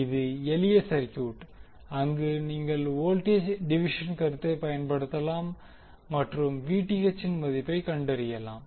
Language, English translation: Tamil, This is simple circuit, where you can utilize the voltage division concept and find out the value of Vth